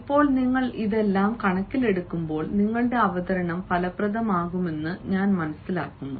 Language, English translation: Malayalam, now, when you keep all these things into consideration, i understand that your presentation is going to be effective